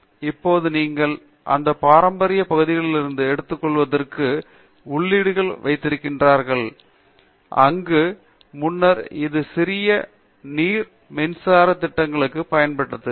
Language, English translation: Tamil, Now, you have inputs to take from those traditional areas, where earlier it used to be small hydro electric projects which used to feed in power into the system